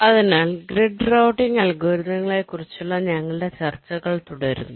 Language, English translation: Malayalam, so we continue with our discussions on the grid routing algorithms